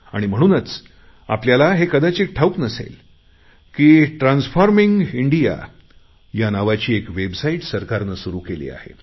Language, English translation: Marathi, You all must be aware that the government has started a website,transforming india